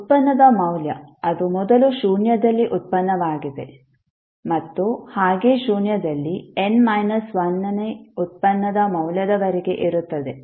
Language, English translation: Kannada, The value of derivative that is first derivative at zero and so on up to the value of derivative n minus 1 at derivative at zero